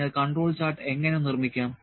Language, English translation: Malayalam, So, how to construct the control chart